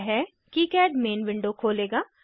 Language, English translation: Hindi, This will open KiCad main window